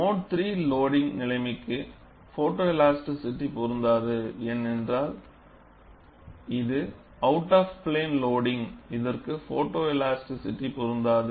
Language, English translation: Tamil, Photoelasticity would is not applicable for mode 3 loading situation, because it is out of plane loading